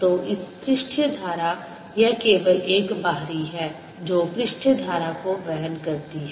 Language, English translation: Hindi, so surface current like this, this only the outer one that carries the surface current